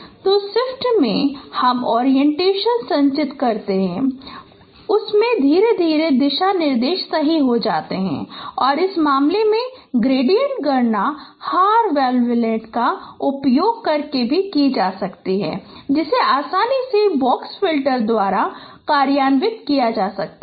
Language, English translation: Hindi, So, in the shift we have accumulated orientation corrected the gradient directions and in this case the gradient computation also is carried out using hard wavelengths which can be easily implemented by box filters